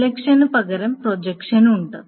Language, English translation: Malayalam, Instead of the selection, there is a projection